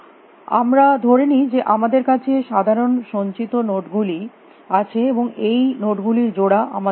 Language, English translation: Bengali, Let us assume that we have simple collection nodes and we do not have these node pairs and